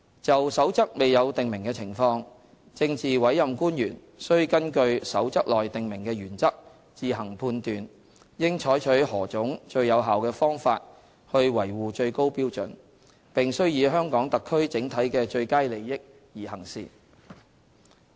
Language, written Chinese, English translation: Cantonese, 就《守則》未有訂明的情況，政治委任官員須根據《守則》內訂明的原則自行判斷，應採取何種最有效的方法去維護最高標準，並須以香港特區整體的最佳利益而行事。, Where the circumstances have not been prescribed it is the responsibility of PAOs to make judgments in accordance with the principles set out in the Code on how best to act in order to uphold the highest standards and they shall act in the best interests of the Hong Kong Special Administrative Region as a whole